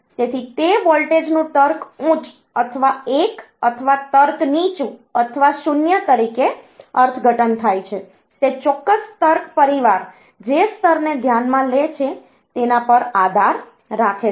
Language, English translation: Gujarati, So, interpretation of that voltage as logic high or 1 or logic low or 0, that depends on the level that the particular logic family considers ok